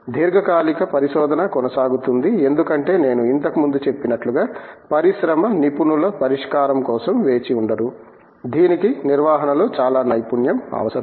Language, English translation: Telugu, But, long term research continues because as I said earlier, the industry cannot wait for expert solution that requires lot of expertise in handling